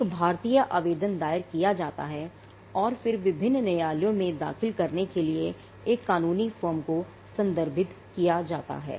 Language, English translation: Hindi, An Indian application is filed and then referred to a law firm for filing in different jurisdictions